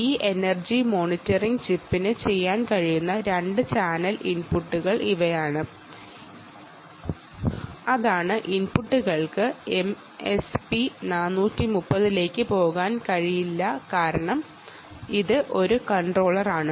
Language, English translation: Malayalam, so these are the two channel inputs that this energy monitoring chip can do, which means the inputs um obviously cannot go into ah m s p four thirty because it is a controller, um, it uses a microcontroller system